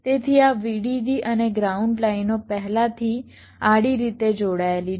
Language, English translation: Gujarati, so this vdd and ground lines are already connected horizontally